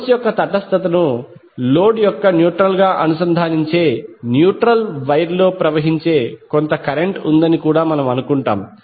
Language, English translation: Telugu, We will also assume there is some current IN which is flowing in the neutral wire connecting neutral of the source to neutral of the load